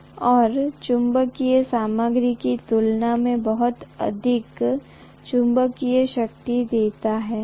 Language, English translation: Hindi, It gives much more magnetic strength compared to what you have in a non magnetic material